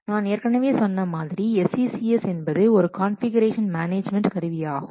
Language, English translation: Tamil, I have already told you that SCCS is a confusion management tool